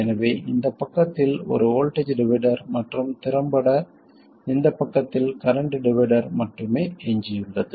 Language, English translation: Tamil, So all we are left with is a voltage divider on this side and effectively a current divider on this side